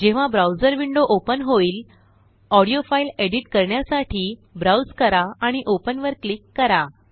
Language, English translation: Marathi, When the browser window opens, browse for the audio file to be edited and click on Open